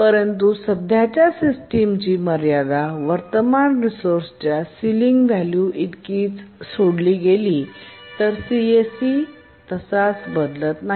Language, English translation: Marathi, But if the ceiling value of the current resource is less than CSE, then CSEC remains unchanged